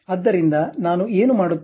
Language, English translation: Kannada, So, what I will do